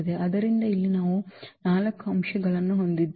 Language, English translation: Kannada, So, here we have 4 elements